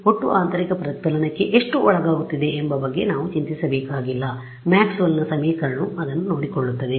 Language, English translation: Kannada, We do not have to think worry about how much is undergoing total internal reflection the Maxwell’s equation will take care of it